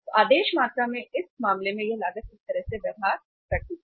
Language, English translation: Hindi, So in this case in the ordering quantity this cost behaves like this